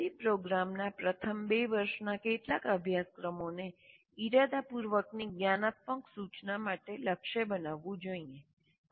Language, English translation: Gujarati, A few courses in the first two years of engineering program should be targeted for a deliberate metacognitive instruction